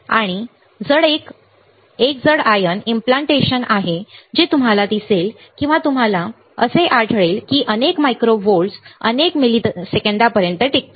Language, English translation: Marathi, And there is a heavy ion implantation you will see or you will find there is a burst noise as high as several hundred micro volts lasts for several milliseconds